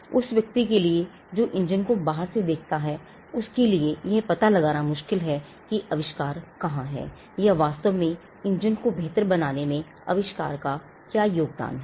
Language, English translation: Hindi, It is not possible for a person who sees the engine from outside to ascertain where the invention is, or which part of the improvement actually makes the engine better